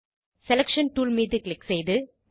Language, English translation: Tamil, Click on Selection tool